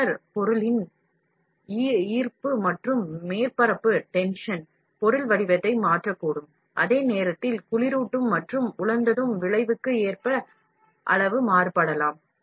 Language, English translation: Tamil, The gravity and surface tension polymer material, gravity, surface tension, however, may cause the material to change shape, while size may vary according to cooling and drying effect